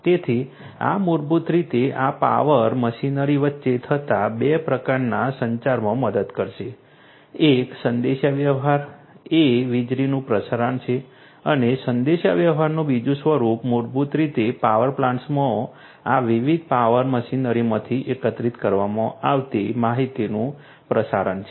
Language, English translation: Gujarati, So, this will basically help in 2 types of communication happening between these power machinery, one communication is the transmission of electricity and the second form of communication is basically the transmission of the information that are collected from these different power machinery in the power plants right so, 2 types of communication are going to happen